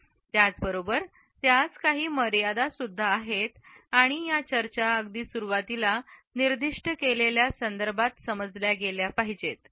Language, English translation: Marathi, At the same time, there are certain limitations to it and these discussions should be understood within the context which has been specified in the very beginning